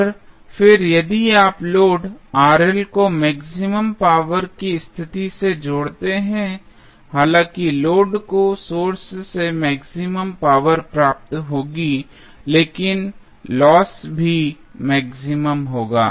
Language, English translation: Hindi, And then if you connect the load Rl at maximum power condition, although the load will receive maximum power from the source, but losses will also be maximum